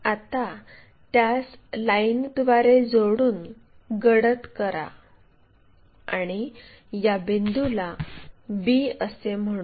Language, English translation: Marathi, Now, join that by true line by darker one and call this one b point